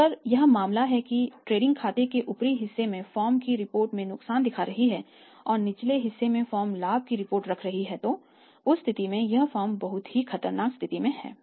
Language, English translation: Hindi, So, if this is the case that in the upper part in the trading account the firm is reporting lost in the lower part the firm is reporting the profit in that case it is very, very dangerous situation